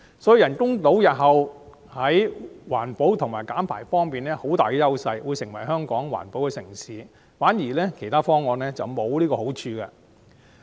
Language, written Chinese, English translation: Cantonese, 所以，人工島日後在環保和減排方面擁有很大的優勢，會成為香港的環保城市，其他方案則沒有這個好處。, Therefore the artificial island will have a great edge in respect of environmental protection and emission reduction and will become an environmental - friendly community in Hong Kong . Such advantages cannot be found in other options